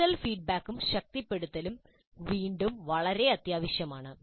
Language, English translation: Malayalam, And corrective feedback and reinforcement are again very essential